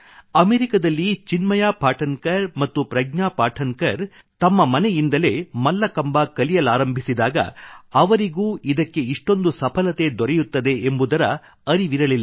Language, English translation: Kannada, When Chinmay Patankar and Pragya Patankar decided to teach Mallakhambh out of their home in America, little did they know how successful it would be